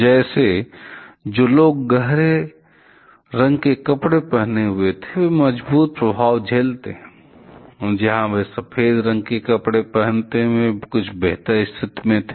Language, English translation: Hindi, Like those who were wearing dark color clothes, suffer strong effects, those where wearing white colored clothes, were in a slightly better position